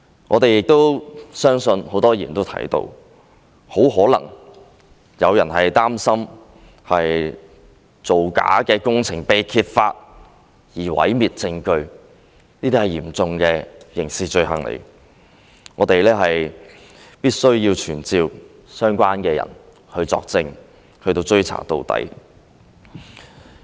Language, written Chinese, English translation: Cantonese, 我們亦相信，正如很多議員也提到，很可能有人擔心造假的工程被揭發而毀滅證據，這是嚴重的刑事罪行，我們必須傳召相關人士作證，追查到底。, We also believe as mentioned by many Members it is highly likely that some people had destroyed the evidence for fear of their fraudulent practices in the construction works being brought to light . This would be a serious criminal offence . We must summon the people concerned to give evidence and we will dig to the bottom of it